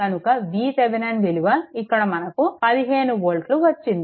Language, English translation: Telugu, So, that is why, V Thevenin we got your 15 volt here